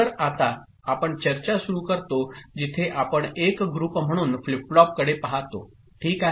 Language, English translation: Marathi, So, now we start discussion where we look at flip flops as a group ok